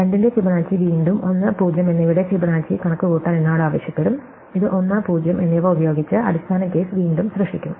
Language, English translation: Malayalam, Fibonacci of 2 will again ask me to compute Fibonacci of 1 and 0, which will again produce the base cases 1 and 0